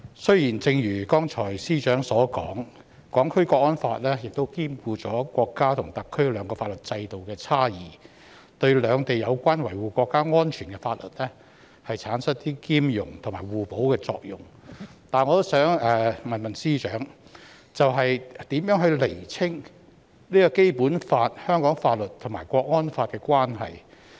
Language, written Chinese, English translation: Cantonese, 雖然正如司長剛才所說，《港區國安法》兼顧國家和特區兩個法律制度的差異，對兩地有關維護國家安全的法律產生兼容和互補的作用，但我也想問司長，如何釐清《基本法》、香港法律和《港區國安法》的關係？, As Secretary for Justice has said earlier given that the National Security Law has taken into account the differences between the legal systems of the State and SAR the laws of the two places are compatible and complementary with each other in respect of safeguarding national security . However I also wish to ask Secretary for Justice how to distinguish the relationship among the Basic Law the laws of Hong Kong and the National Security Law?